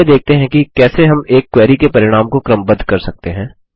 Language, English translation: Hindi, First let us see how we can sort the results of a query